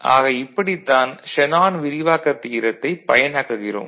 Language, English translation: Tamil, And we shall also have a look at Shanon’s expansion theorem